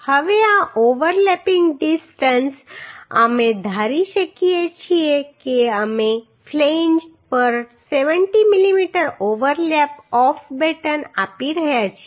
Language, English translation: Gujarati, Now this overlapping distance we can assume say we are providing 70 mm overlap of battens on flanges ok